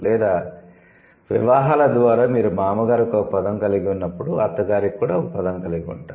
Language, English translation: Telugu, Or through the marriages, when you have a word for father in law, then you will also have a word for mother in law, something like that